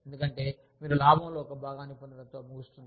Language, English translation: Telugu, Because, you will end up getting, a part of the profit